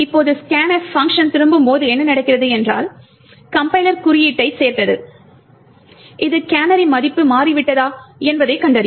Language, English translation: Tamil, Now when the scan function returns what happens is that the compiler has added code that detects whether the canary value has changed